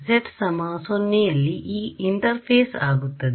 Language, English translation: Kannada, z equal to 0 is the interface